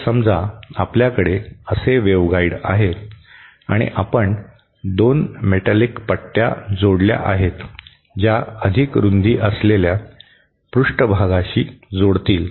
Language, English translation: Marathi, So suppose you have a waveguide like this and you add 2 metallic strips which connects the surfaces which have greater widths